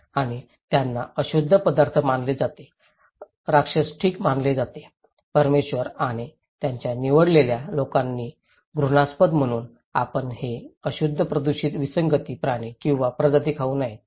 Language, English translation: Marathi, And they are considered unclean foods considered to be monster okay, abominated by the Lord and by his chosen people, so you should not eat these unclean polluted anomaly animals or species, okay